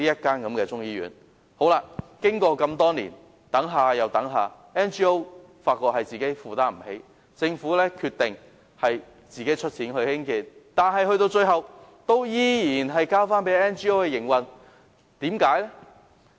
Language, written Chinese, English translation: Cantonese, 多年已過去，我們等了又等，但 NGO 卻發現負擔不來，因此政府決定自行出資興建，最後仍然是交由 NGO 營運。, Many years have passed and we have waited a long time . The NGO concerned has nonetheless found that it is unable to afford its construction . So the Government has decided to provide funding for its construction and the NGO concerned will have to finance its operation all the same in the end